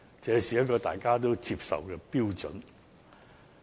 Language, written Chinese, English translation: Cantonese, 這是一個大家都接受的標準。, This is a standard procedure acceptable to all